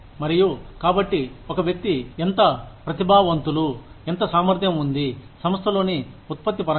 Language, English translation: Telugu, And, so, how meritorious one is, how capable one is, in terms of output within that organization